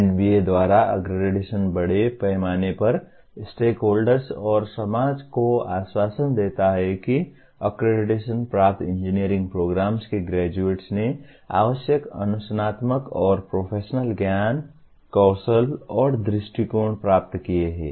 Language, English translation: Hindi, Accreditation by NBA assures the stakeholders and society at large that graduates of the accredited engineering program have attained the required disciplinary and professional knowledge skills and attitudes